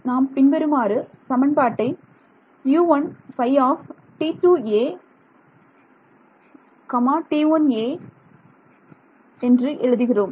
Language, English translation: Tamil, So, I am just trying to write down one equation ok